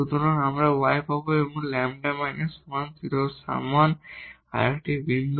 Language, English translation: Bengali, So, we will get y and lambda minus 1 is equal to 0 another point